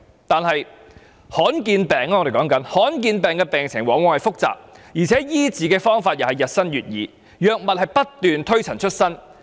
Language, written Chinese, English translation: Cantonese, 但是，我們討論的是罕見疾病，罕見疾病的病情往往很複雜，而且醫治的方法亦日新月異，藥物不斷推陳出新。, However we are talking about rare diseases . Rare diseases are often complicated . New ways of treatment and new drugs are constantly available for rare diseases